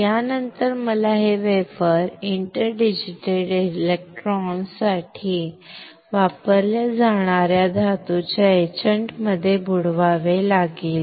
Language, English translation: Marathi, After this I had to dip this wafer in the etchant for metal which is used for interdigital electrons